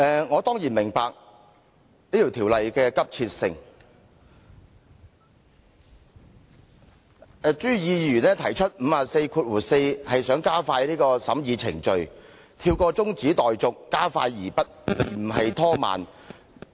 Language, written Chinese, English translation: Cantonese, 我當然明白這項《條例草案》的急切性，朱議員根據《議事規則》第544條提出的議案是想加快審議程序，跳過中止待續加快而不是拖慢。, I certainly understand the urgency of the Bill . By moving the motion in accordance with RoP 544 Mr CHU wishes to speed up the examination process speeding up instead of slowing things down by skipping the adjournment of the debate